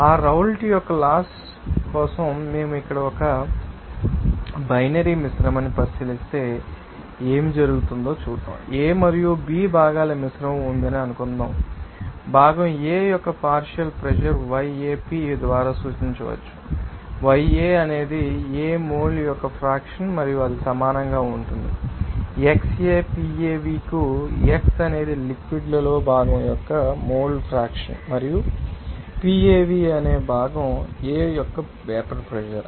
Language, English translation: Telugu, If we consider here a binary mixture for that Raoult’s law, what will happen suppose there is a mixture of components A and B so, partial pressure of you know component A can be represented by yAP, yA is the mole fraction of A and that will be equal to xAPAv, x is the mole fraction of component in the liquid and PAv is the vapour pressure of the component A